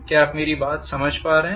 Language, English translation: Hindi, Are you getting my point